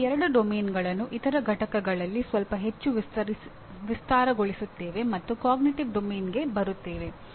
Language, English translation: Kannada, We will elaborate these two domains a little more in other units and coming to Cognitive Domain